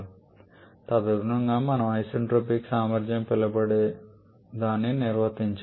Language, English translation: Telugu, And accordingly we define something known as the isentropic efficiency